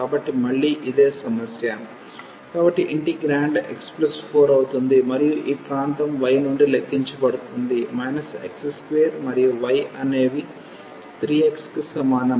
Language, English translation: Telugu, So, again the similar problem; so, the integrand will be x plus 4, and the region will be computed from this y is minus x square and y is equal to 3 x